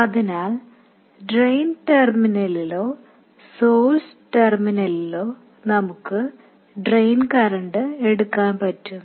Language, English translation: Malayalam, So, we can access the drain current at the drain terminal or the source terminal